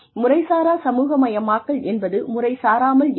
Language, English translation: Tamil, Informal socialization, that is informal